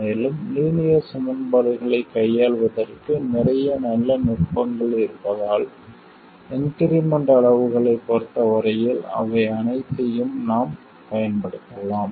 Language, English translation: Tamil, Now, that's a great simplification, also because there are lots of nice techniques for handling linear equations and we can use all of those things as far as the incremental quantities are concerned